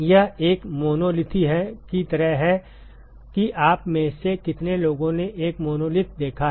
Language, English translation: Hindi, It is like a monolith how many of you have seen a monolith